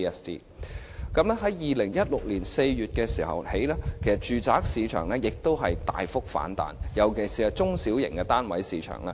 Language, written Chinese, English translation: Cantonese, 在2016年4月起，住宅市場再度大幅反彈，尤其是中小型單位的市場。, Since April 2016 signs of exuberance in the residential property market have re - emerged particularly in the market of small to medium flats